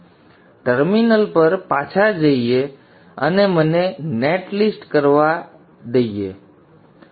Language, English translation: Gujarati, So we go back to the terminal and let me do the net list